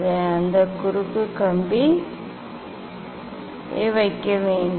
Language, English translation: Tamil, I have to put that cross wire